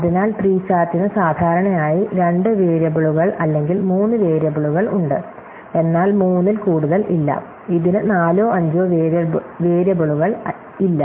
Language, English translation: Malayalam, So, SAT has typically two variables or three variables, but not have more than three, it does not have four or five variables